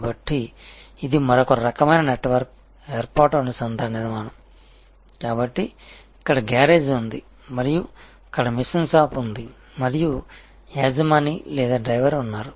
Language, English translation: Telugu, So, this is another kind of network formation linkage formation, so here is the garage and there is the machine shop and there is the owner or driver